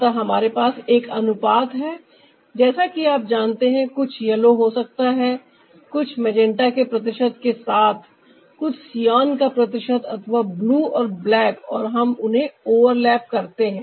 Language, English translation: Hindi, so we have a ratio which is, like you know, maybe ah, some ah yellow, with some percentage of ah, magenta, some percentage of cyan or blue and black, and we overlap them